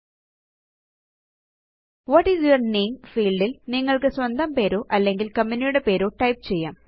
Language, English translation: Malayalam, In the What is your name field, you can type your name or your organisations name